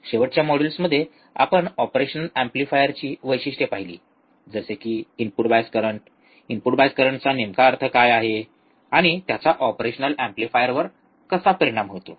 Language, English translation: Marathi, In last modules, we have gone through the characteristics of an operational amplifier, such as input bias current, what exactly input bias current means, and how it is going to affect the operational amplifier